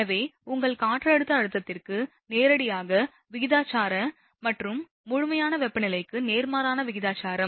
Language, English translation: Tamil, And thus, directly proportional to a your barometric pressure and inversely proportional to the absolute temperature